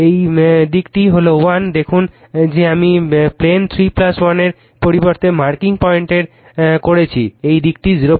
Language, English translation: Bengali, This side is 1 look at that I am marking by pointer rather than plane 3 plus 1 this side is 0